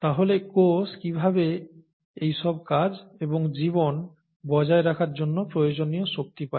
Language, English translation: Bengali, So how does the cell get the needed energy to do all these things and maintain life